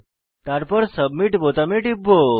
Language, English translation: Bengali, Then click on Submit button